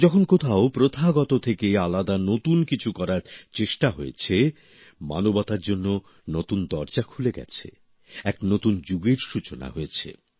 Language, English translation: Bengali, Whenever effort to do something new, different from the rut, has been made, new doors have opened for humankind, a new era has begun